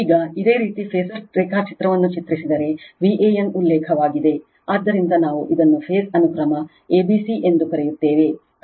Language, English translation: Kannada, Now, if you draw the phasor diagram, then V a n is the reference one, so we call this is the phase sequence is a b c